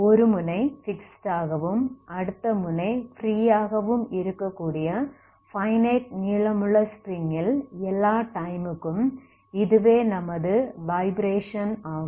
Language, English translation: Tamil, So these are the vibrations you can see for all times for a finite length of string string of finite length that is one end is fixed, other end is left free